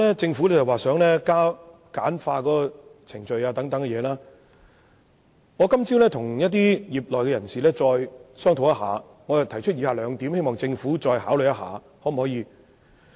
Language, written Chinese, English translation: Cantonese, 政府現時想簡化程序，我今早與業內人士再作商討，並提出以下兩點建議，希望政府再作考慮。, The Government now wants to simplify the procedures . I had a discussion with members of the industry this morning and we came up with the following two proposals for the Governments consideration